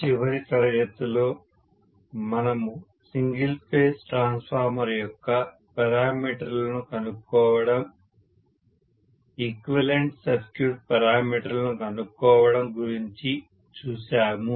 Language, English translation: Telugu, Good morning, in the last class we have seen about determination of the parameter of a single phase transformer, determination of equivalent circuit parameters, right